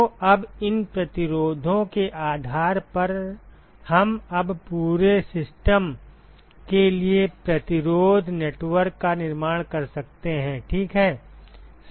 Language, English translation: Hindi, So, now based on these two resistances, we can now construct the resistance network for the whole system ok